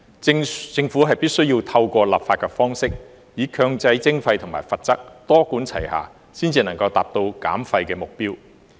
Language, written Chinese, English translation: Cantonese, 政府必須透過立法的方式，以強制徵費和罰則，多管齊下，才能達到減廢的目標。, The Government must adopt a multi - pronged approach with the imposition of mandatory charges and penalties through legislation to achieve the waste reduction target